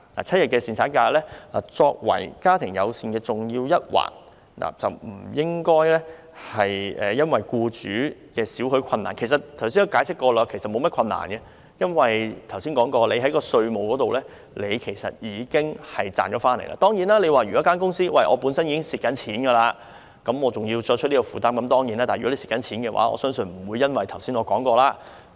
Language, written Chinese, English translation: Cantonese, 七日侍產假既為"家庭友善"的重要一環，不應因為僱主的點點困難——我剛才已解釋過他們其實並沒有大困難，因為他們已從稅務優惠方面有所得益——當然，如果公司本身已經出現虧蝕，還要再作出這方面的承擔的話，是會有困難的。, Seven - day paternity leave is an important component of the family - friendly policies despite causing a little bit of difficulty to employers . As I explained earlier actually the employers do not have much difficulty because they have already benefited from tax concessions . Of course if a company has already suffered loss and still has to make another commitment in this regard there will be difficulties